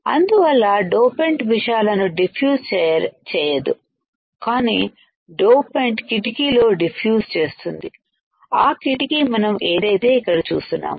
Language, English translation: Telugu, So, that the dopant would not diffuse things, but the dopants can diffuse in the window that what we see here